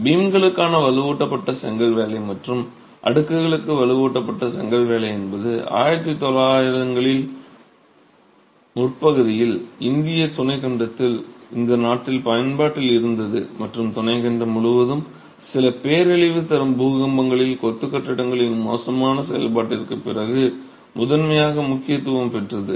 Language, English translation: Tamil, Reinforced brickwork for beams and reinforced brickwork for slabs was something that was in use in the early 1900s in this country in the Indian subcontinent and gained prominence primarily after poor performance of masonry buildings in some devastating earthquakes across the subcontinent